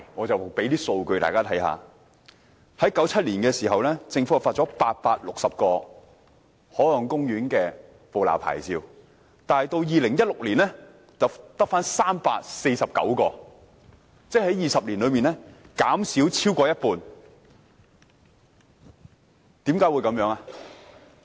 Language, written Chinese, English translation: Cantonese, 政府在1997年發出了860個海岸公園的捕撈牌照，但到2016年卻只剩下349個，即在20年裏牌照減少了超過一半。, The Government issued 860 permits for fishing in marine parks in 1997 but the number dropped to 349 in 2016 . This means that the number of permits has dropped by more than half in 20 years